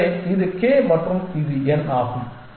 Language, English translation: Tamil, So, this is k and this is n